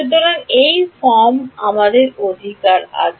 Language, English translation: Bengali, So, this is the form that we have right